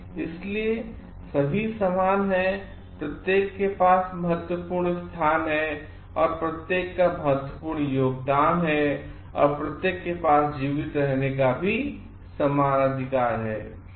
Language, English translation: Hindi, So, all are equal and each has it is important place, and each has it is important contribution and each has an equal right of survival also